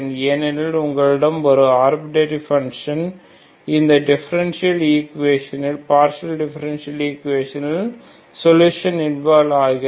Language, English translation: Tamil, So general solution because you have two arbitrary functions involved in your partial differential solution of the partial differential equation